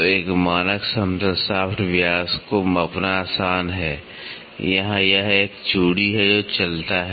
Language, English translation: Hindi, So, a standard flat shaft it is easy to measure the diameter, here it is a thread which runs